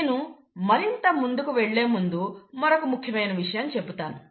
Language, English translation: Telugu, Before I go again further, I want to again highlight another important point